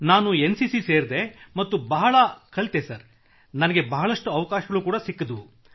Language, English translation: Kannada, Sir NCC taught me a lot, and gave me many opportunities